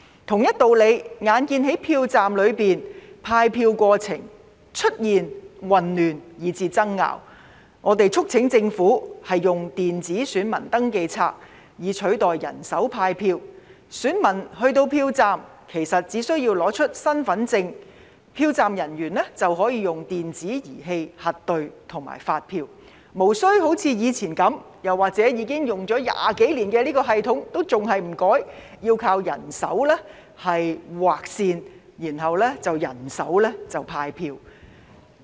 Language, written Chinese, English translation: Cantonese, 同一道理，眼見在票站內派票過程出現混亂以至爭拗，我們促請政府使用電子選民登記冊以取代人手派票，選民去到票站，只要出示身份證明文件，票站人員便可以使用電子儀器核對和發出選票，無須像以往般以人手操作，又或者已使用20多年的這個系統仍然不變，要靠人手在紙本上劃線和人手派票。, By the same token in view of the confusion and disputes during the distribution of ballot paper in the polling stations we urged the Government to replace manual distribution of ballot paper with electronic poll register . When voters arrive at the polling stations they only need to present their identity documents . Then the polling staff can use an electronic device for verification and issue the ballot paper